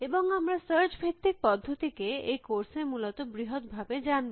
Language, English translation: Bengali, And we will be largely exploring search base methods in this course essentially